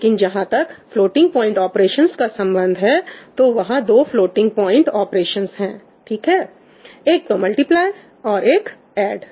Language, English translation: Hindi, As far as then floating point operations are concerned there are two floating point operations, right one is multiply, one is add